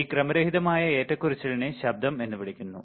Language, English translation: Malayalam, This random fluctuation is called noise